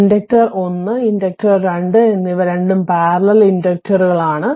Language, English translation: Malayalam, Same for inductor1 and inductor 2 the parallel inductors 2 are there right